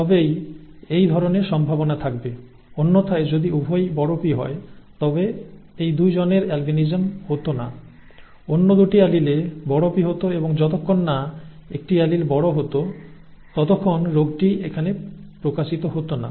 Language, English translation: Bengali, if both had been capital P then these 2 people would not have had albinism, theÉ both the other allele would have been capital P and as long as one allele was capital then the disease would not have been manifested here